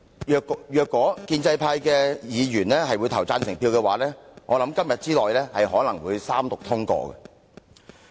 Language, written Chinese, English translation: Cantonese, 如果建制派議員表決贊成，我相信《條例草案》今天之內可能會三讀通過。, If Members of the pro - establishment camp were to vote in favour of the motion I believe the Bill could be passed after Third Reading before the day is out